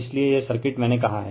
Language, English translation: Hindi, So, so this is the circuit I told you right